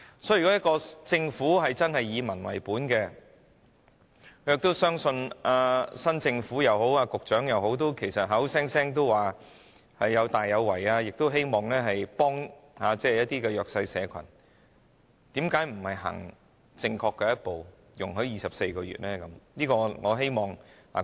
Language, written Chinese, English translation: Cantonese, 所以，如果政府真的以民為本，正如新一屆政府或局長口口聲聲說要大有為和希望幫助弱勢社群，為何不走出正確的一步，容許有24個月的檢控時限呢？, Therefore if the Government genuinely upholds the people - oriented principle and as the new Government or the Secretary has categorically said that proactive efforts would be made and that assistance would be provided to the disadvantaged groups why do they not take a correct step by allowing a time limit of 24 months for prosecution?